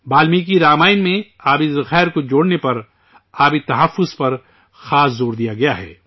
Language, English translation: Urdu, In Valmiki Ramayana, special emphasis has been laid on water conservation, on connecting water sources